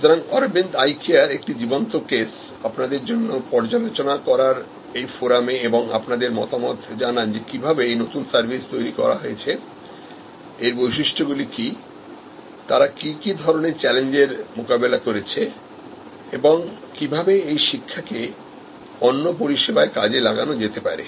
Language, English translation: Bengali, So, Aravind Eye Care is a live case for you to study and discuss on the forum and give your inputs that how the new service has been created, what are the features, what are the challenges they have met and how those learning’s can be deployed in other services